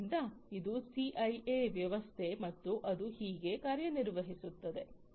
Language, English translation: Kannada, So, this is the CIA system that and this is how it performs